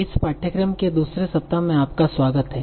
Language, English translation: Hindi, So, welcome back to the second week of this course